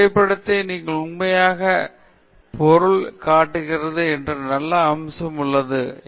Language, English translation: Tamil, So, a photograph has the nice aspect that it shows you the real object